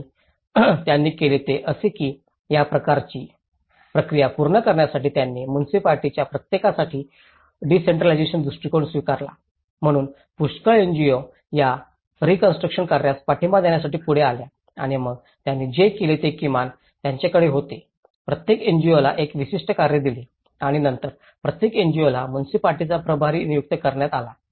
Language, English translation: Marathi, And what they did was, they, in order to meet this kind of process they adopted a decentralized approach so for each of the municipality, so the many NGOs came forward to support for this reconstruction activity and then what they did was at least they have given each NGO a particular task and then each one NGO was assigned in charge of the municipality